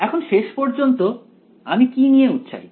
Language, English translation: Bengali, Now what am I finally interested in